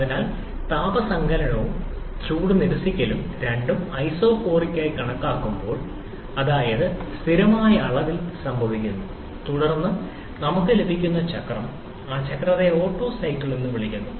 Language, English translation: Malayalam, So, when heat addition and heat rejection both are considered to be isochoric means happening at constant volume, then the cycle that we get that cycle is called the Otto cycle